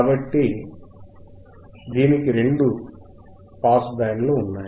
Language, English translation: Telugu, So, it has two pass bands correct